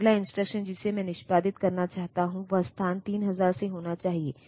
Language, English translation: Hindi, And the next instruction I want to execute has to be from location 3000